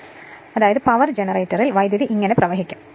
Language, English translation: Malayalam, So; that means, your power generator the power will flow like this